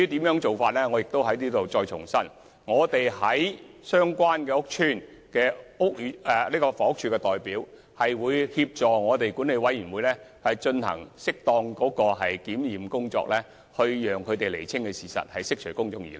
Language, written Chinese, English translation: Cantonese, 我在此再重申，房委會在相關屋邨的代表會協助管委會進行適當的檢驗工作，釐清事實，以釋除公眾疑慮。, Let me reiterate HAs representatives in the relevant estate will assist the management committee to conduct suitable testing to clarify the facts and dispel public misgivings